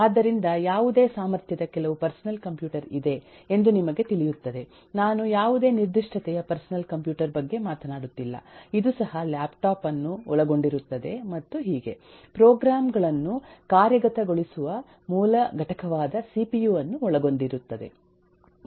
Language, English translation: Kannada, a personal computer, of whatever capacity you talk of am not talking about any specific personal computer even this will include laptop and so on will comprise of a cpu, which is a basic component which eh executes programs